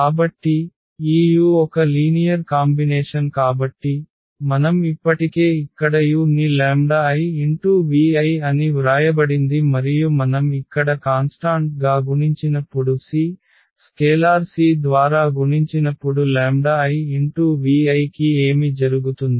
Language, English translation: Telugu, So, this u is a linear combination so, which we have already written here u is written as the lambda i v i and when we multiply by a constant here c by a scalar c then what will happen the c lambda into; into v i